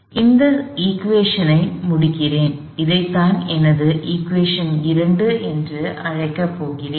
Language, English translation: Tamil, So, let me complete this equation, this is what I am going to call equation 2